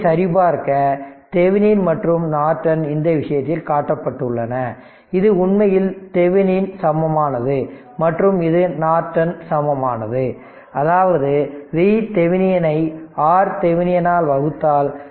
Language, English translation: Tamil, just to verify this the Thevenin and Norton you are shown in this thing so, this is actually Thevenin equivalent right and this is Norton equivalent; that means, if you divide V Thevenin by R Thevenin you will get i Norton that is 2